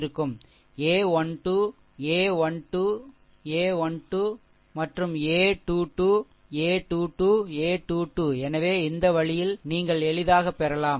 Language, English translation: Tamil, And a 2 1, a 2 2, a 2 3, a 2 1, a 2 2 you repeat, you make it like this